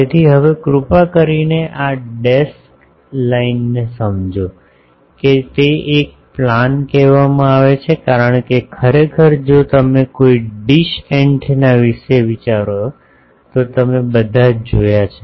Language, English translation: Gujarati, So, now here please understand this dashed line that we that is called a plane because, actually if you think of a dish antenna all of you have seen